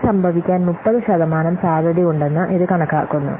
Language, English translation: Malayalam, It estimates that there is 30% chance of happening this